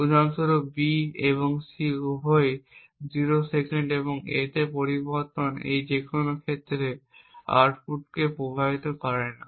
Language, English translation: Bengali, For example, given that B and C are both 0s, a change in A does not influence the output in any of these cases